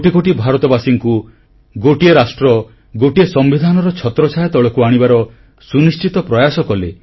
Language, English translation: Odia, He ensured that millions of Indians were brought under the ambit of one nation & one constitution